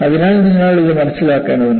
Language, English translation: Malayalam, So, you need to understand this